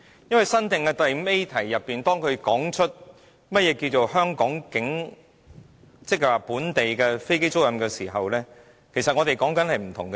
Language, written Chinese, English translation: Cantonese, 因為，在新訂的第 5A 條中，當它提出何謂本地飛機租賃時，其實我們是在說不同的事情。, About the newly added clause 5A when it talks about the definition of aircraft leasing business in Hong Kong we are in fact not on the same page